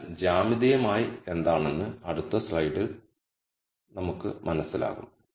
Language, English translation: Malayalam, We will understand what this is geometrically in the next slide